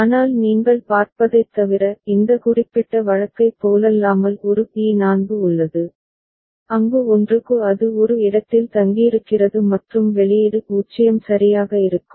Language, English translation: Tamil, But in addition to that what you see a there is a T4 unlike this particular case where for 1 it is staying in a and the output is 0 right